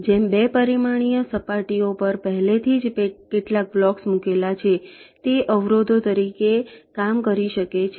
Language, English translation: Gujarati, like some of the blocks that are already placed on the two dimensional surface, they can work as obstacles